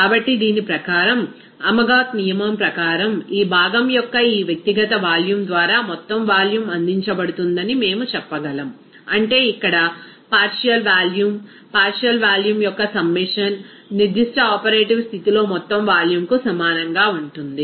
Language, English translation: Telugu, So, according to this, you know that Amagat’s law, we can say that total volume will be contributed by this individual volume of this component, that is here partial volume, summation of partial volume will be equal to total volume at that particular operative condition